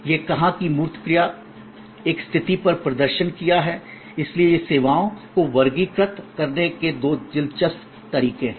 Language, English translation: Hindi, So, that said tangible action performed on a position, so these are therefore, two interesting way of classifying services